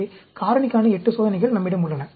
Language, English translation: Tamil, So, we have 8 experiments